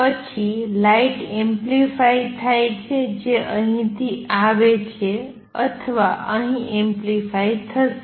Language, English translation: Gujarati, Then the light gets amplified light which comes out of here or here would be amplified